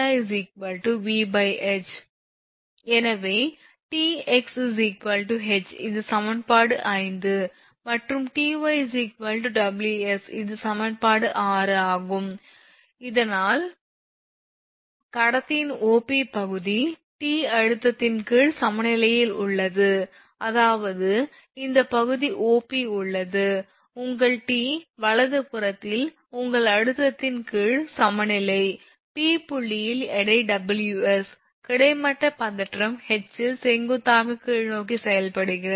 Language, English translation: Tamil, So, that means Tx is equal to H this is equation 5 I told you, and Ty is equal to W into s this is equation 6, thus the portion OP of the conductor is in equilibrium under the under the tension T, that is this portion OP is in is in equilibrium under the tension your T right, at point P the weight Ws acting vertically downward at the horizontal tension H